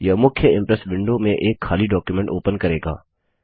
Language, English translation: Hindi, This will open an empty presentation in the main Impress window